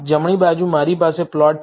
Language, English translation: Gujarati, On the right hand side, I have the plot